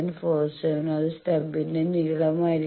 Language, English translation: Malayalam, 47 and that will be the length of the stub